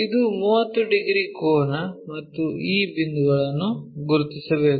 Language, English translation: Kannada, This is the 30 degrees angle and we have to locate this point